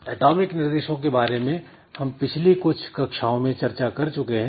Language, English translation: Hindi, So, we have discussed about atomic operations in some classes earlier